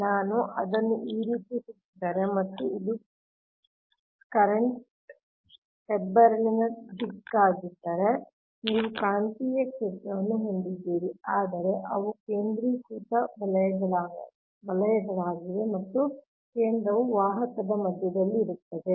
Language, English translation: Kannada, if i rapid, like this, and if this is the direction of the current, the term the upwards, then you have the magnetic field right, but they are concentric circles actually, and there centre will be at the centre of the conductor, right